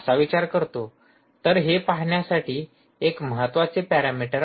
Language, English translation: Marathi, so this is an important parameter to look at